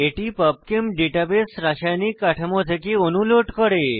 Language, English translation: Bengali, This loads molecules from chemical structure data base PubChem